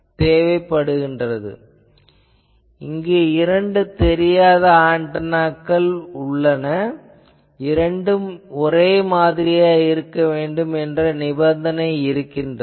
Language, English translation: Tamil, That means, the requirement here is the unknown antenna should be available in identical pairs